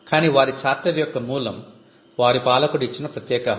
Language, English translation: Telugu, But the origin of their charter was an exclusive privilege the given by the ruler